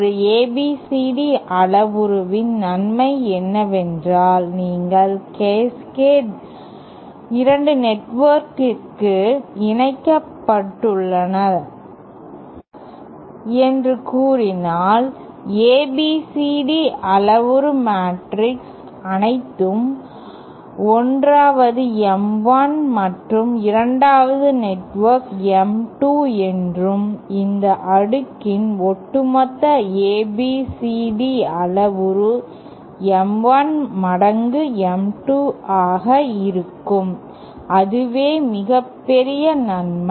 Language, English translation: Tamil, The advantage of an ABCD parameter is that if you have say 2 networks connected in Cascade like this and say the ABCD parameter matrix all the 1st M1 and 2nd network is M2 and the overall ABCD parameter of this Cascade will be M1 times M2, that is the biggest advantage